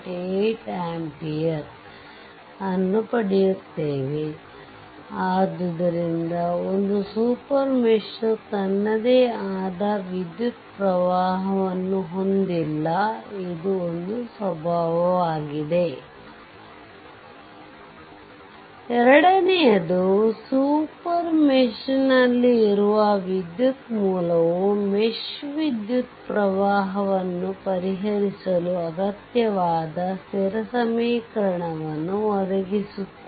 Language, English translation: Kannada, This is your this is your this is the first thing a super mesh has no current of its own Second one is the current source in the super mesh provides the constant equation necessary to solve for the mesh current